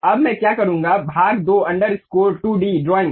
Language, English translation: Hindi, Now, what I will do is part 2 underscore 2 d drawing